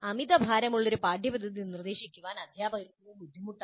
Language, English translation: Malayalam, And they find it difficult to instruct an overloaded curriculum